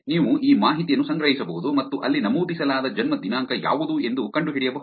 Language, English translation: Kannada, So, you could collect this information and find out what is the date of birth mentioned there